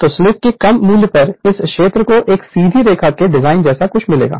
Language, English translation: Hindi, So, at the low value of slip you will see this region you will find something like a a straight line design right